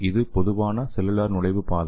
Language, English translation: Tamil, So this is the common cellular entry pathway